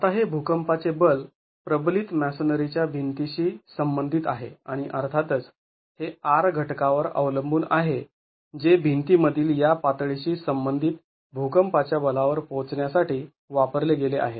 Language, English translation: Marathi, Now this seismic force corresponds to a reinforced masonry wall and of course it depends on the R factor that has been used to arrive at the seismic force corresponding to this level in the wall